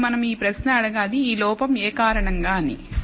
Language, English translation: Telugu, Now we have to ask this question what is this error due to